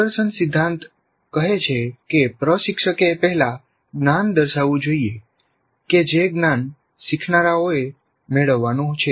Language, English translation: Gujarati, Demonstration principle says that instructor must first demonstrate the knowledge that the learners are supposed to acquire